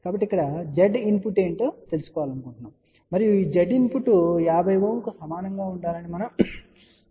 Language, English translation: Telugu, So, we want to find out what is Z input here and we want to this Z input to be equal to 50 Ohm